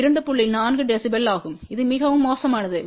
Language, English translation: Tamil, 4 db which is very, very poor